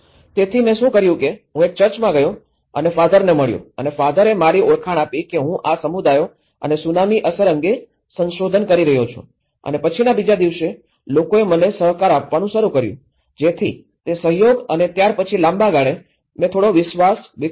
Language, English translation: Gujarati, So, what I did was, I went to the church and I met the father and the father introduced me that I am doing research on these communities and tsunami effect and then the next day onwards, people started cooperating with me so that cooperation and when the longer run, I developed some trust